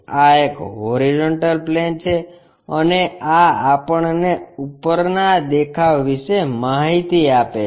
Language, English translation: Gujarati, This is horizontal plane, and this gives us top view information